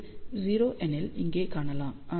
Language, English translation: Tamil, 8 and if this is 0